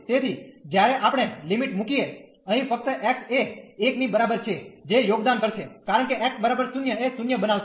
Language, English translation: Gujarati, So, when we put the limit here only this x is equal to 1 will contribute, because at x equal to 0 will make this 0